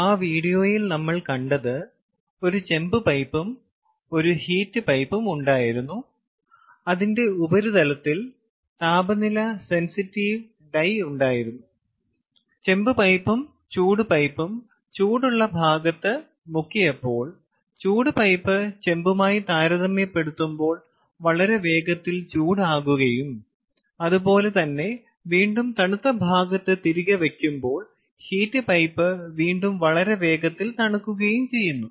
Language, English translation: Malayalam, and you could see that when event was, when both the rods or both the pipes solid copper and heat pipe was dipped in the warm section, the heat pipe heated up much faster compared to copper and similarly, when they were again put back in the cold section, the heat pipe again cooled down much faster